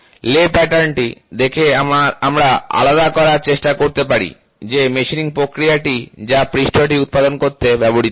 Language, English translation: Bengali, By looking at the lay pattern, we can try to distinguish what is the machining process which is been used to generate the surface